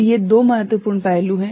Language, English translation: Hindi, So, these are the two important aspects